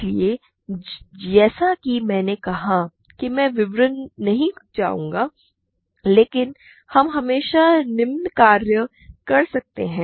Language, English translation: Hindi, So, as I said I will not go into details, but we can always do the following